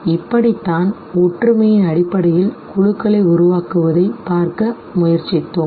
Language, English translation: Tamil, So this is how we were trying to look at the formation of groups based on similarity